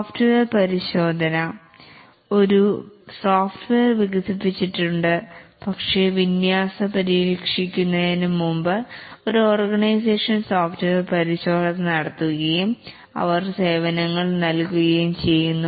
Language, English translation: Malayalam, Software has been developed but then before deployment needs to be tested and maybe an organization just does software testing and they are providing software services